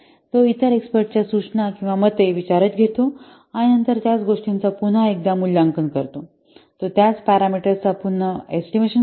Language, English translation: Marathi, He takes into account the suggestions or the opinions of the other experts and then he assesses the same matters once again